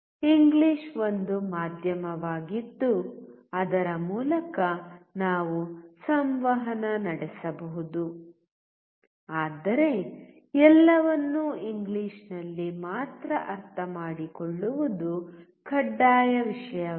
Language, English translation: Kannada, English is one medium through which we can communicate, but it is not a mandatory thing to understand everything only in English